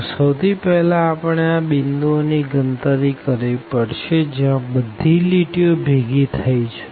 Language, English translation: Gujarati, So, first we need to compute these points where these lines are meeting